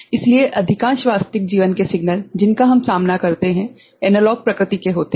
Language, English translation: Hindi, So, the most of the real life signal, that we encounter are in, are analog in nature